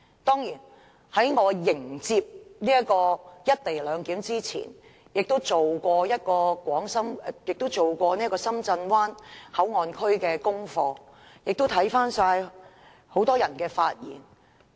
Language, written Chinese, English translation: Cantonese, 當然，我在迎接"一地兩檢"這件事之前，亦曾做有關深圳灣口岸區的功課，並翻看很多人的發言。, Before the co - location issue I did some homework on the Shenzhen Bay port area and reviewed what many people had said